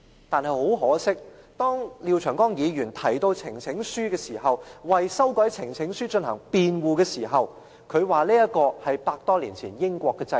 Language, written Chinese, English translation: Cantonese, 但是，很可惜，當廖長江議員提到呈請書時，為修改有關呈請書的規定進行辯護時，他說這是100多年前英國的制度。, It appears that he has to seek elsewhere for the lost rites . However it is unfortunate for him to cite the system adopted in the United Kingdom over a hundred years in defending his proposal to amend the rules on the presentation of petitions